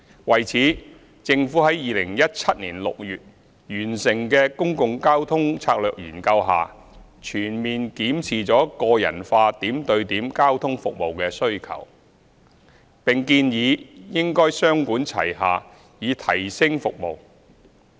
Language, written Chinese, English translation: Cantonese, 為此，政府在2017年6月完成的《公共交通策略研究》下全面檢視了個人化點對點交通服務的需求，並建議應雙管齊下以提升服務。, To this end in the Public Transport Strategy Study completed in June 2017 the Government comprehensively reviewed the demand for personalized and point - to - point transport services and proposed a two - pronged approach to enhance services